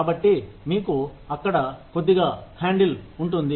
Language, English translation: Telugu, So, you would have a little handle, there